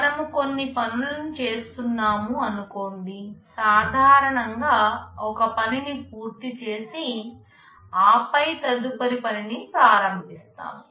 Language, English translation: Telugu, When you say we are caring out certain tasks, normally we do a task, complete it and then start with the next task